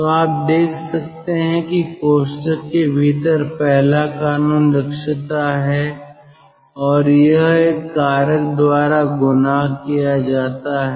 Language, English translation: Hindi, so you see the, the term within the bracket, within the parenthesis, is the first law, efficiency, and that is multiplied by a factor